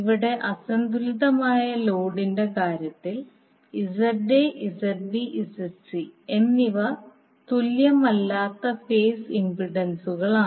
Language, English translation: Malayalam, Here in case of unbalanced load ZA, ZB, ZC are the phase impedances which are not equal